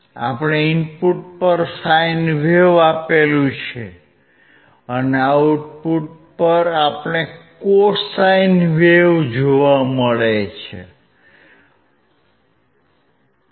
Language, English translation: Gujarati, We have given a sine wave at the input and at the output we are able to see a cosine wave